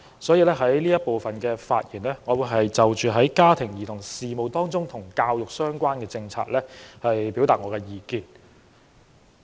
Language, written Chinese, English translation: Cantonese, 因此，我在這環節的發言，會就家庭及兒童事務和與教育相關的政策表達意見。, Hence in this debate session I will share my views on family and children as well as policies related to education